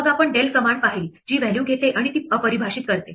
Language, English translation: Marathi, Then we saw the command del which takes the value and undefined it